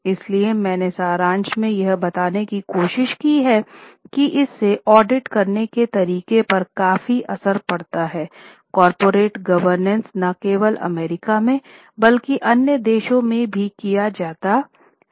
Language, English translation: Hindi, So I have tried to just in summary tell it it has significantly affected the way the audits are done, the way the corporate governance is done not only in US but also in other countries